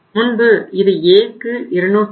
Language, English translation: Tamil, A was 224